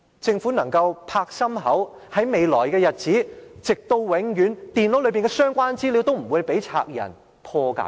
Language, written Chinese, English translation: Cantonese, 政府是否仍舊可以拍胸脯保證，在未來的日子，直至永遠，電腦內的相關資料也不會被賊人破解呢？, Does the Government have the confidence to guarantee that in the days to come the data contained in the computers stolen could not be retrieved by the thieves forever?